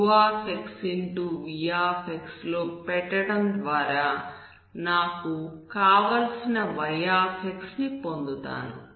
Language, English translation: Telugu, v to get my y